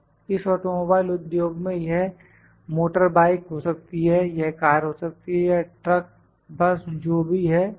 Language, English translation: Hindi, This automobile industry just put automobile, it can be motorbike, it can be a car, or truck, bus whatever it is